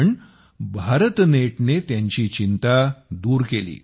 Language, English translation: Marathi, But, BharatNet resolved her concern